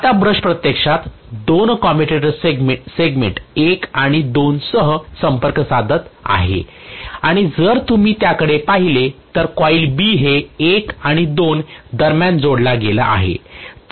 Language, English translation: Marathi, Now the brush is actually making contact with two commutator segments 1 as well as 2 and if you look at it coil B is connected between 1 and 2